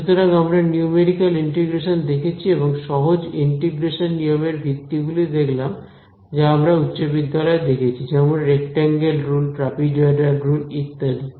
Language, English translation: Bengali, So, we were looking at numerical integration right and we found out the basis of the simple integration rules that we came across in high school like the rectangle rule, trapezoidal rule etcetera it was basically Taylor’s theorem